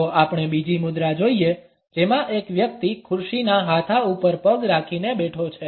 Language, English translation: Gujarati, If we look at the second posture; in which a person is sitting with a leg over the arm of the chair